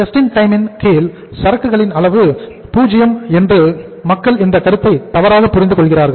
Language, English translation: Tamil, People misunderstand this concept that under JIT the level of inventory is 0